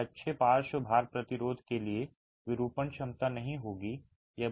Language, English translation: Hindi, It would not have the deformation capacity for good lateral load resistance